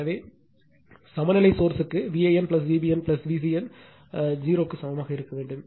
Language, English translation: Tamil, So, for balance source V a n plus V b n plus V c n must be equal to 0